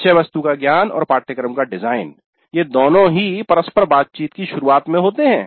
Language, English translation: Hindi, There are four aspects, knowledge of the subject matter, design of the course, these two happen at the beginning of the interaction